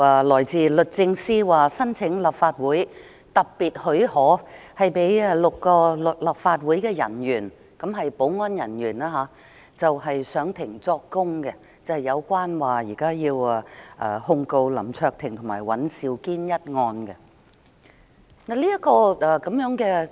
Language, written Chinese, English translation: Cantonese, 律政司申請立法會特別許可，讓6位立法會保安人員就香港特別行政區訴林卓廷及尹兆堅一案上庭作供。, The Department of Justice has submitted a request for special leave of the Council for six security officers of the Council to give evidence in court in the case HKSAR v LAM Cheuk - ting WAN Siu - kin Andrew